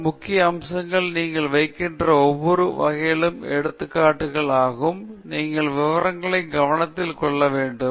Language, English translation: Tamil, And then, the other important aspect is for every type of illustration that you put up, you have to pay attention to details